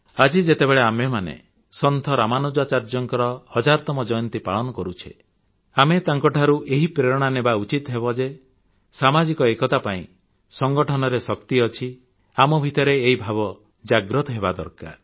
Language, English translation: Odia, Now that we are celebrating the 1000th birth anniversary of Ramanujacharya, we should gain inspiration from him in our endeavour to foster social unity, to bolster the adage 'unity is strength'